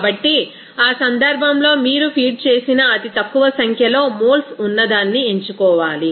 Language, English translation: Telugu, So, in that case you have to select the one with the smallest number of moles fed